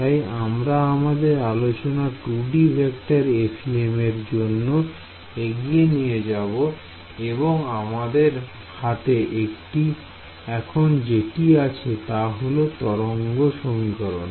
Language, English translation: Bengali, So, we will continue with our discussion of 2D vector FEM and what we have so far is the wave equation right